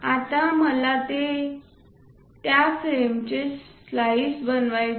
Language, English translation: Marathi, Now I want to slice it on that frame